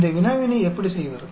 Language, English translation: Tamil, How to do this problem